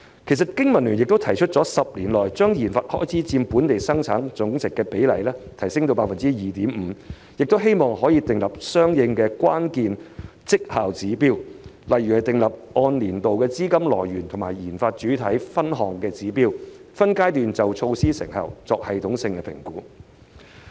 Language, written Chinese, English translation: Cantonese, 其實，經民聯亦曾提出建議，在10年內把研發開支佔本地生產總值的比例提升至 2.5%， 並希望政府訂立相應的關鍵績效指標，例如訂立按年度的資金來源和研發主體分項指標，分階段就措施成效作系統性評估。, In fact the Business and Professionals Alliance for Hong Kong has also proposed to raise the proportion of RD expenditure to 2.5 % of GDP within 10 years and suggested the Government to set corresponding key performance indicators such as annual breakdown of funding sources and RD subjects so as to systematically assess the effectiveness of the measures in phases